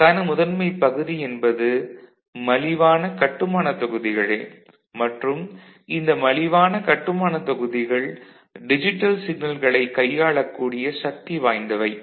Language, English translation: Tamil, And the key to it is inexpensive building blocks and these inexpensive building blocks are such that they it can handle digital signals and can manipulate